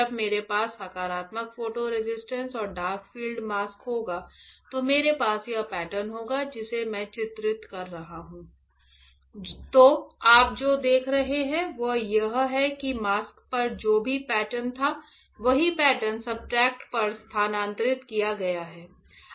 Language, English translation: Hindi, When I have positive photo resist and dark field mask, then I will have this pattern; the one I am drawing So, what you see is that whatever pattern was there on the mask whatever pattern was there on the mask is same the same pattern is transferred onto the substrate right